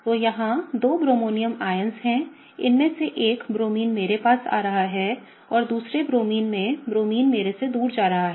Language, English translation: Hindi, So, here are two bromonium ions; one of them have a Bromine coming towards me and the other one has a Bromine going away from me